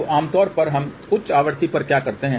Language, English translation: Hindi, So, generally what do we do at higher frequency